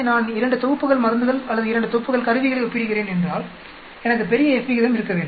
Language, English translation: Tamil, If I am comparing 2 sets of drugs or 2 sets of instruments, I need to have larger F ratio